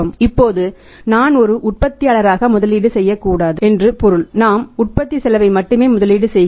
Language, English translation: Tamil, Now I meant it not investing as a manufacturer the margin I am investing only the cost of production